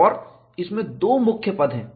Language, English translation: Hindi, And it has two main terms